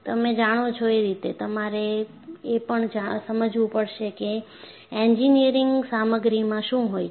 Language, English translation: Gujarati, You know, you will have to understand what an engineering materials contain